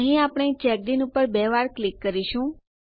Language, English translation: Gujarati, Here we will double click on CheckIn